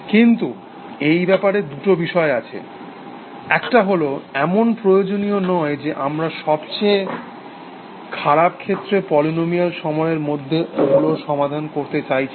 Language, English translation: Bengali, But there are two counters to this, one is that, we may not necessarily, be looking for solving them in polynomial time in the worst case